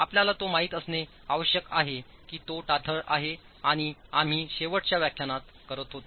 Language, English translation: Marathi, You need to know the stiffnesses and that's what we were doing in the last lecture